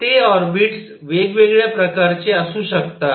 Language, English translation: Marathi, That orbits could be of different kinds